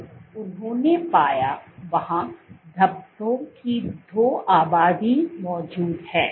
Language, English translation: Hindi, So, what they found was there exist two populations of speckles